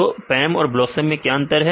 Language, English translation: Hindi, So, what is the difference between PAM and BLOSUM